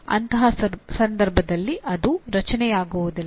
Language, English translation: Kannada, In that case it does not become create